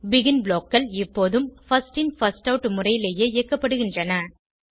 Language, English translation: Tamil, BEGIN blocks always get executed in the First In First Out manner